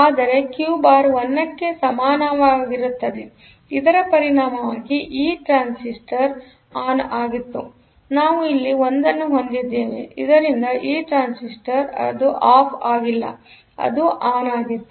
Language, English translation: Kannada, So, Q bar was equal to 1; as a result this transistor we had a 1 here; so, this transistor was on, so it is not off; it was on